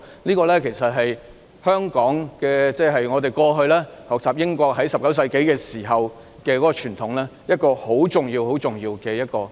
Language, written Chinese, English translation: Cantonese, 事實上，這是香港過去在19世紀時從英國學習的傳統，這是一個很重要很重要的原則。, In fact this is a tradition that Hong Kong learnt from the United Kingdom in the 19 century and this is a very very important principle